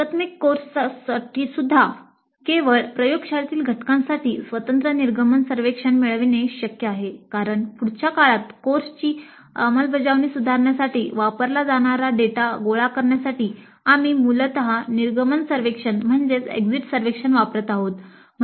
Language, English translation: Marathi, Even for an integrated course it is possible to have a separate exit survey only for the laboratory component because we are essentially using the exit survey to gather data which can be used to improve the implementation of the course the next time